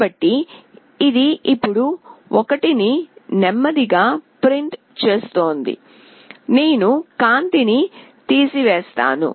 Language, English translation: Telugu, So, it is printing 1 now slowly, I will take away the light